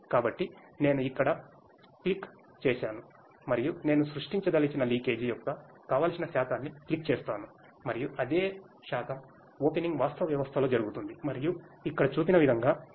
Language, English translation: Telugu, So, I just click here and I click the desired percentage of leakage that I want to create and the same percentage of opening will be done in the actual system and the water will flow through as it is shown here